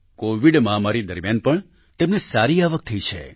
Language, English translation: Gujarati, They had good income even during the Covid pandemic